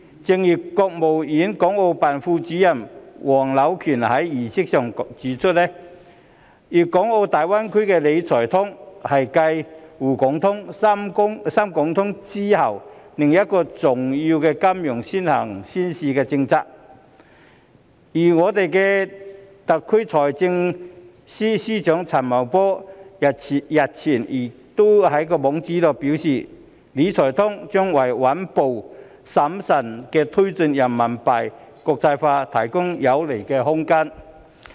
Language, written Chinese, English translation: Cantonese, 正如國務院港澳辦副主任黃柳權在儀式上指出，粵港澳大灣區的"理財通"是繼"滬港通"、"深港通"之後另一個重要的金融先行先試政策，而我們特區的財政司司長陳茂波日前亦在其網誌表示，"理財通"將為穩步審慎地推進人民幣國際化提供有利空間。, As HUANG Liuquan Deputy Director of the Hong Kong and Macao Affairs Office of the State Council pointed out at the ceremony the Wealth Management Connect in the Guangdong - Hong Kong - Macao Greater Bay Area is another important policy of early and pilot implementation for the financial industry after the Shanghai - Hong Kong Stock Connect and Shenzhen - Hong Kong Stock Connect . The Financial Secretary of our SAR Paul CHAN has also written in his blog earlier that the Wealth Management Connect can provide room conducive to promoting the internationalization of Renminbi RMB in a steady and prudent manner